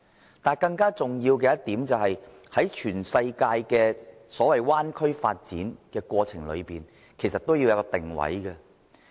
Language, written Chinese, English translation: Cantonese, 然而，更重要的一點是，在全世界的所謂灣區發展的過程裏，均要有一個定位。, Nevertheless one thing is more important . That is there should be a clear positioning in the development process of the so - called bay area development